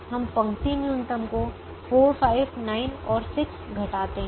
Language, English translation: Hindi, we do the row minimum, subtraction of four, five, nine and six